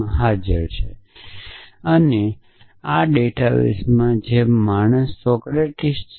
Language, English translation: Gujarati, So, this is there in the database and this is there in the database which is man Socrates